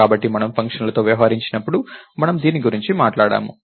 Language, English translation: Telugu, So, we talked about this, when we dealt with functions